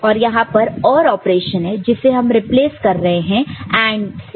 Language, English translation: Hindi, And this was the OR operation this is replaced with AND